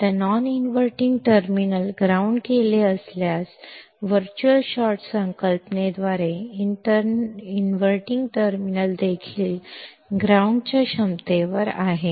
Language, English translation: Marathi, Now, if the non inverting terminal is grounded, by the concept of virtual short, inverting terminal also is at ground potential